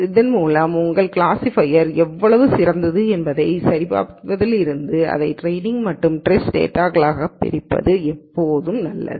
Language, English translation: Tamil, So, from verifying how good your classifier is it is always a good idea to split this into training and testing data